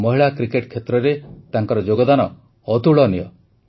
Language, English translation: Odia, Her contribution in the field of women's cricket is fabulous